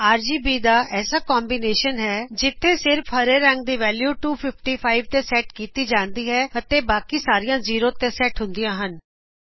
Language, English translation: Punjabi, 0,255,0 is a RGB Combination where only the green value is set to 255 and the others are set to 0